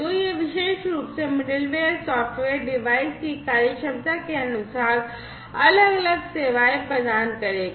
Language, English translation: Hindi, So, this particular middleware software will provide different services according to the device functionalities